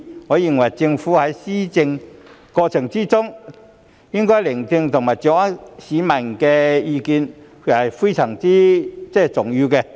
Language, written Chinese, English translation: Cantonese, 我認為政府在施政過程中應該聆聽和掌握市民的意見，這是非常重要的。, I think it is very important for the Government to listen to and grasp public opinion in the course of administration